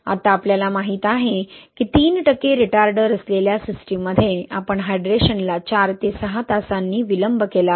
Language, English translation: Marathi, Now we know that, okay, in the system with three percent retarder, we have delayed the hydration by four to six hours, okay